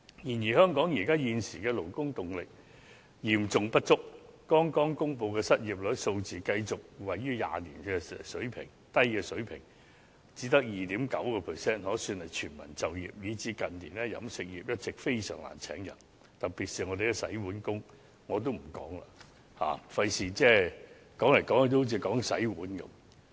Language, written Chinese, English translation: Cantonese, 然而，香港現時勞動力嚴重不足，剛公布的失業率數字繼續處於20年的低水平，只有 2.9%， 可說是全民就業，以致近年飲食業在招聘人手方面非常困難，特別是洗碗工，這方面我也不詳述了，免得說來說去也只說洗碗工。, However there is currently an acute manpower shortage in Hong Kong . The unemployment rate just published has remained at a low level in the past two decades which stands at only 2.9 % and can be regarded as full employment . For this reason staff recruitment has become most difficult in the catering industry in recent years especially in recruiting dishwashers